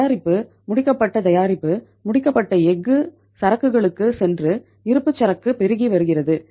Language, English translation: Tamil, The product, finished product, finished steel is going to the inventory and inventory is mounting